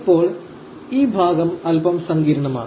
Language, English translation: Malayalam, Now, this part is slightly complex